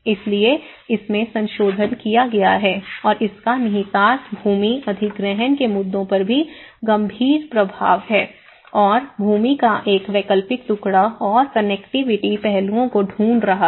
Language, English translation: Hindi, So it has been amended and this has implication has a serious implication on the land acquisition issues and going back and finding an alternative piece of land and the connectivity aspects